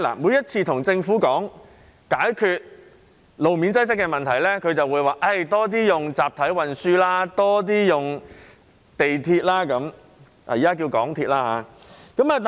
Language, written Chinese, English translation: Cantonese, 每次與政府討論解決路面擠塞的問題時，當局只會說多使用集體運輸，多使用港鐵。, Every time when we discuss with the Government about solving the problem of road congestion it will only say that more mass transport and railways should be used